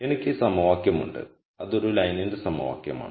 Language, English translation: Malayalam, So, I have this equation which is the equation of a line